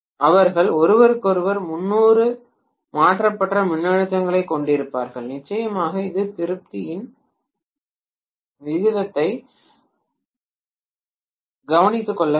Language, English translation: Tamil, They will have voltages which are 30 degrees shifted from each other, of course I have to take care of the turn’s ratio